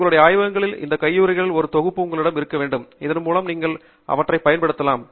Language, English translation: Tamil, You should have a set of these gloves handy in your labs, so that you can use them as you would need that